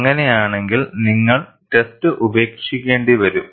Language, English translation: Malayalam, If that is so, then you may have to discard the test